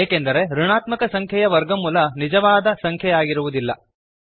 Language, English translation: Kannada, As square root of negative number is not a real number